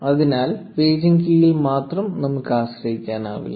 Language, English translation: Malayalam, So, we cannot just rely on the paging key alone